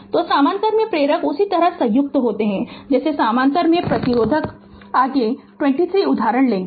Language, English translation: Hindi, So, inductors in parallel are combined in the same way as resistors in parallel, next will take 2 3 examples